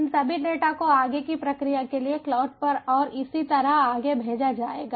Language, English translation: Hindi, so all these data would have to be sent to the cloud for further storage and processing